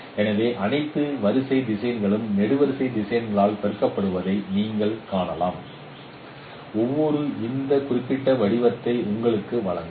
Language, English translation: Tamil, So you can see that all row vectors are multiplied by column vectors and each one will give you this particular form